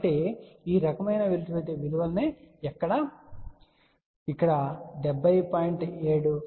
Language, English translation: Telugu, So, if you use this kind of a value here 70